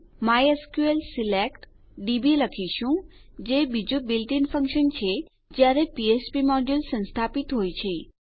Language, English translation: Gujarati, Well say mysql select db which is another built in function when you have the php module installed